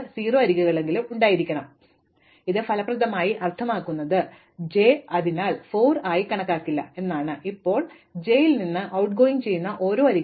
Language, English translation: Malayalam, So, this effectively means that j is not going to be considered henceforth and now for every outgoing edge from j